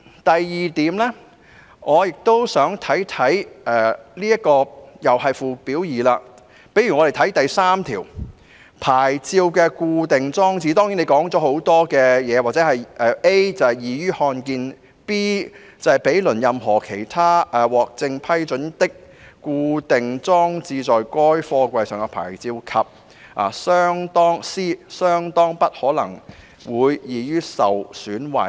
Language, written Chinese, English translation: Cantonese, 第二，同是附表2的第3條"牌照的固定裝設"訂明，安全合格牌照的裝設位置須使該牌照 "a 易於看得見 ；b 毗鄰任何其他獲正式批准的、固定裝設在該貨櫃上的牌照；以及 c 相當不可能會易於受損壞"。, This is crucial . Secondly in clause 3 Fixing of plates of Schedule 2 it is stipulated that a safety approval plate must be fixed in a position so that it is a readily visible; b adjacent to any other officially approved plate fixed to the container; and c not likely to be easily damaged